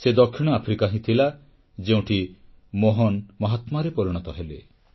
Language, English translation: Odia, It was South Africa, where Mohan transformed into the 'Mahatma'